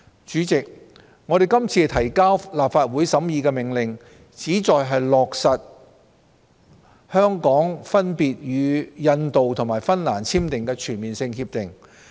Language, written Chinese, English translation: Cantonese, 主席，我們今次提交立法會審議的命令，旨在落實香港分別與印度及芬蘭簽訂的全面性協定。, President the Orders we have presented to the Legislative Council for scrutiny seek to implement the CDTAs Hong Kong has signed with India and Finland respectively